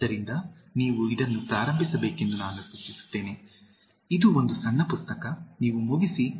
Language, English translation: Kannada, So, I would suggest that you start with this, it is a small book, you finish